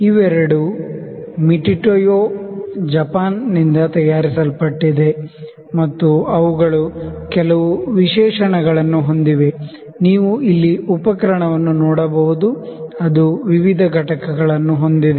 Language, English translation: Kannada, These are both manufactured by MitutoyoJapan and they have certain specifications, you can see the instrument here, it has various components